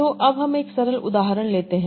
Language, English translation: Hindi, So let's take a simple example